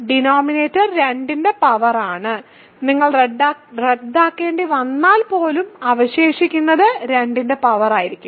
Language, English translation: Malayalam, The denominator is a power of 2 and even if you have to cancel, what remains will be a power of 2